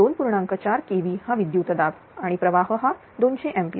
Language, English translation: Marathi, 4 kv is the voltage and current is two hundred ampere